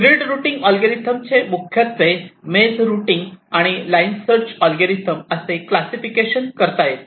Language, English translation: Marathi, ok, now grid working algorithms mainly can be classified as maze routing and line search algorithms, as we shall see